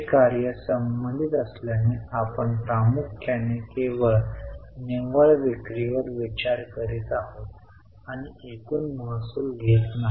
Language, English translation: Marathi, Since this is operating related, we are mainly considering only net sales and not taking total revenue